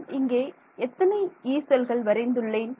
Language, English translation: Tamil, So, how many Yee cells have I drawn 1 or 4